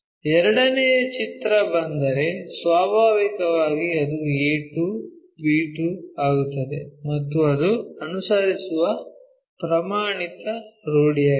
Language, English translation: Kannada, If the second picture comes, naturally it becomes a 2, b 2 and so on that that is the standard convention we follow it